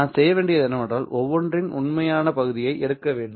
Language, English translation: Tamil, What I have to do is to take the real part of each of this